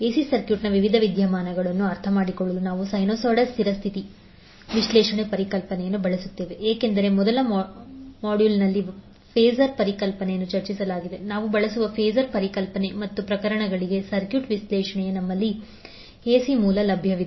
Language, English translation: Kannada, That is we will use the sinusoidal steady state, state analysis concepts to understand the various phenomena of AC circuit now as we know that the concept of phasors was discussed in the first module, the concept of phasors we will use and the circuit analysis for the cases where we have the AC source available